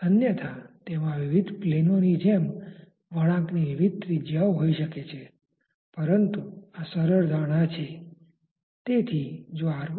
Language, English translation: Gujarati, Otherwise it may have different radii of curvature at like different planes, but this simplistic assumption